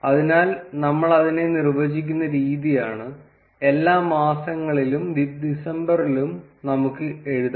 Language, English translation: Malayalam, So, the way we define it is and we can write all the months and December